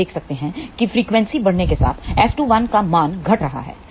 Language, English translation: Hindi, You can see that as frequency increases S 2 1 value is decreasing